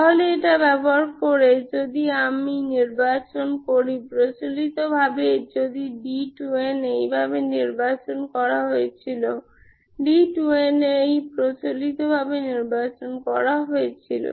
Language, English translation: Bengali, So using that, if I choose, conventionally this is our, if d 2 is chosen this way, d 2 is conventionally chosen this way